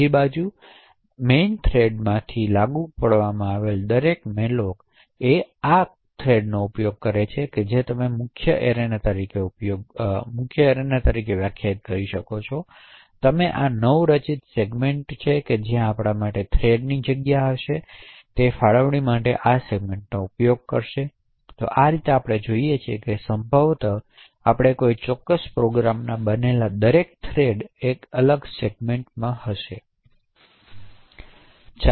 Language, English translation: Gujarati, On the other hand every malloc that is invoked from the main thread would use this segment for its allocation, so this allocation is where you have the main arena and this newly created segment is where we would have arena for the thread of the thread arena, so in this way what we see is that it is likely that every thread that we create in a particular program gets a separate segment